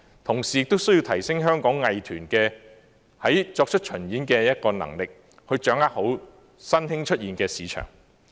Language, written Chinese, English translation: Cantonese, 同時，亦需提升香港藝團作出巡演的能力，好好掌握新興出現的市場。, Meanwhile it is also necessary to enhance the ability of Hong Kongs art groups to go on performance tours to make the most of the emerging market